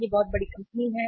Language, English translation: Hindi, It is a very big company